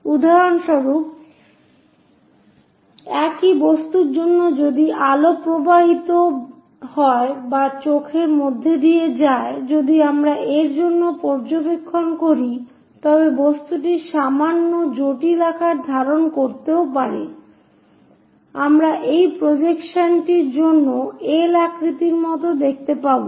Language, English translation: Bengali, So, for example, for the same object if light is passing or through the eye if we are observing for this, though the object might be slightly having complicated shape, but we will see only like that L shape for the projection